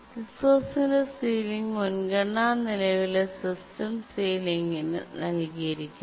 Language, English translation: Malayalam, So the ceiling priority of the resource is assigned to the current system ceiling